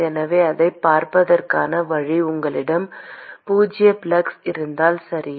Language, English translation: Tamil, So, the way to look at it is supposing if you have a zero flux, okay